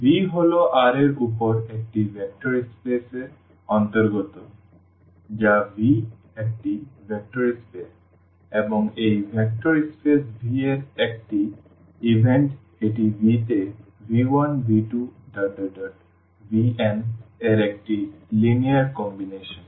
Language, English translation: Bengali, So, v belongs to a vector space over R which is V is a vector space and v small v is an event of this vector space V this is a linear combination of v 1, v 2, v 3, v n in V